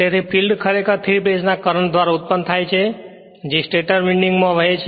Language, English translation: Gujarati, So, the field actually is produced by the 3 phase current which flow in the stator windings